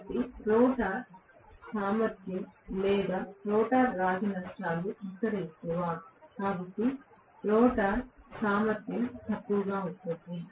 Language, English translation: Telugu, So, I would say rotor efficiency or rotor copper losses will be higher here, and so rotor efficiency will be lower